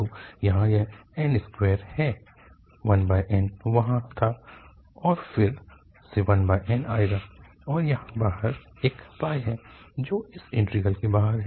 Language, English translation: Hindi, So, here n is square, 1 over n was there and again 1 over n will come and there is a pi outside this, outside this integral